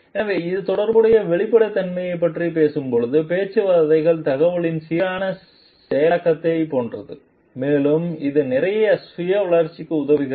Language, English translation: Tamil, So, it talks of a relational transparency, talks are for like balanced processing of information and it helps in lot of self development